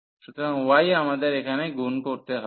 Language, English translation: Bengali, So, y we have has to be multiplied here